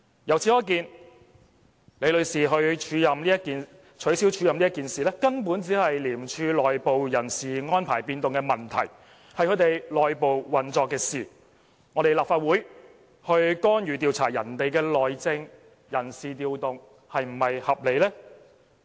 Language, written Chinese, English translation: Cantonese, 由此可見，取消李女士署任一事，根本只是廉署內部的人事安排變動問題，是署方內部運作的事，由我們立法會去干預調查別人的內政、人事調動是否合理呢？, It can thus be seen that the cancellation of Ms LIs acting appointment was just an internal staff deployment in ICAC falling within the realm of ICACs internal functioning . Is it reasonable for us the Legislative Council to interfere with and investigate the internal functioning and staff deployment of another organization?